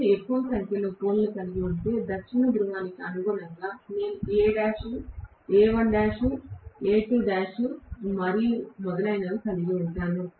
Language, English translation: Telugu, If I have more and more number of poles, correspondingly for the South Pole I will have A dash, A1 dash, A2 dash and so on and so forth